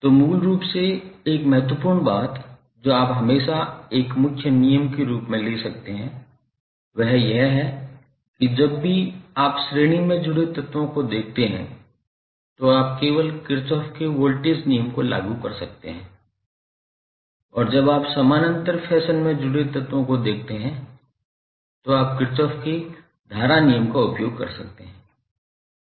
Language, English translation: Hindi, So basically one important thing which you can always take it as a thumb rule is that whenever you see elements connected in series you can simply apply Kirchhoff’s voltage law and when you see the elements connected in parallel fashion, you can use Kirchhoff’s current law